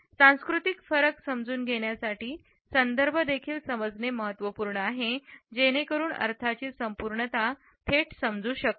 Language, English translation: Marathi, In addition to understanding the cultural differences our understanding of the context is also important so that the totality of the meaning can be directly understood